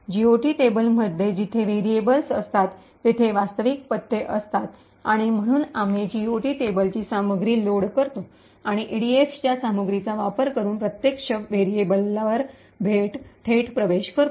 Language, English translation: Marathi, The GOT table contains the actual addresses where the variables are present and therefore we load the content of the GOT table and access the actual variable directly using the contents of the EDX